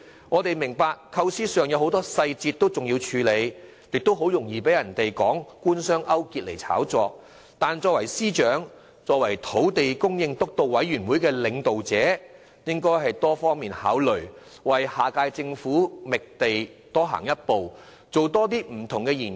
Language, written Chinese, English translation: Cantonese, 我們明白在構思上還有很多細節需要處理，也很容易被人以官商勾結作理由炒作一番，但作為司長及土地供應督導委員會的領導者，他應作多方面考量，為下屆政府的覓地工作多走一步，多作不同研究。, We understand that it is still necessary for the Government to sort out a lot of details pertaining to the idea while a big fuss could easily be made over the proposal using the pretext of collusion between the Government and the business sector but as the Financial Secretary and the Chairman of the Steering Committee on Land Supply full consideration should be given to various aspects so as to take a step further and conduct different studies for the Government of the next term in finding land